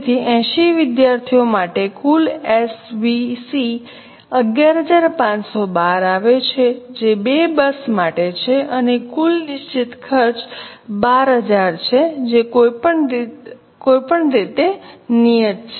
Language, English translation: Gujarati, So, total SVC for 80 students comes to 11 512 which is for two buses and total fixed cost is 12,000 which is anyway fixed so total cost is 35 2 for 80 students